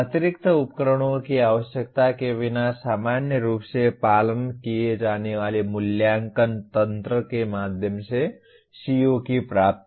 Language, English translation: Hindi, So it should be possible to determine the attainment of a CO through the normally followed assessment mechanisms without needing additional instruments